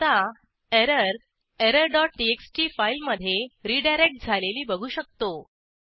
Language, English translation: Marathi, We can now see the error redirected to file error dot txt